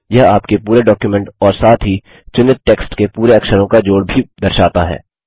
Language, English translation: Hindi, It also shows the total count of characters in your entire document as well as in the selected text